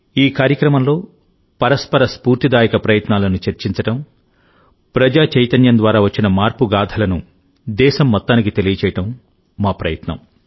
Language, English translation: Telugu, In this program, it is our endeavour to discuss each other's inspiring efforts; to tell the story of change through mass movement to the entire country